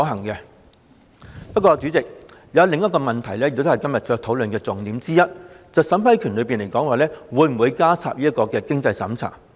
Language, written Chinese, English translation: Cantonese, 不過，代理主席，還有另一個問題也是今天討論的重點之一，便是在審批過程中會否加入經濟審查。, However Deputy President the other question which is also one of the focuses of todays discussion is whether to have a means test in the vetting and approval procedure